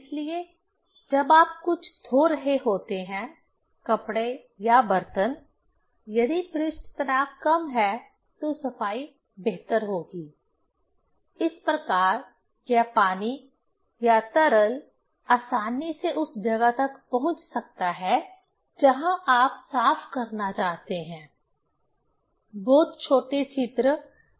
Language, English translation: Hindi, So, when you are washing something, either cloths or the utensils; if surface tension is smaller, breeding will be better; thus this water can reach easily or liquid can reach easily into the place where you want to clean, very small pores and etcetera, right